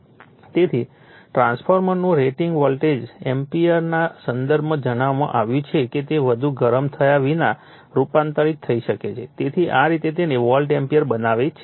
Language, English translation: Gujarati, So, the rating of a transformer is stated in terms of the volt ampere that it can transform without overheating so, this way we make it then volt ampere